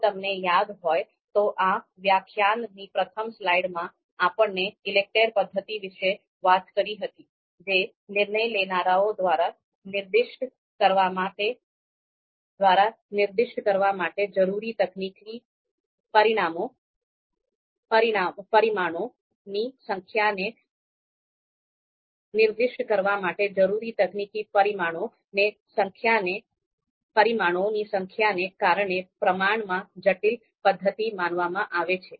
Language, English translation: Gujarati, So remember in the in this lecture we talked about in the in the in the first slide we talked about that the ELECTRE method is considered to be a slightly you know relatively complex method because of the number of you know parameters technical parameters that are required to be specified by decision makers